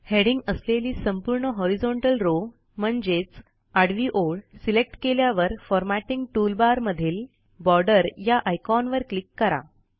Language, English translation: Marathi, After selecting the entire horizontal row containing the headings, click on the Borders icon on the Formatting toolbar